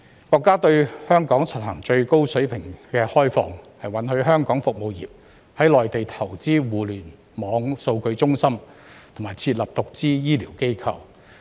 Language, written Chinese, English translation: Cantonese, 國家對香港實行最高水平開放，允許香港服務業在內地投資互聯網數據中心，並設立獨資醫療機構。, The country has implemented the highest level of opening up for Hong Kong in the sense that it allows Hong Kongs service industry to invest in Internet data centres and set up medical institutions on the Mainland in the form of wholly - owned entity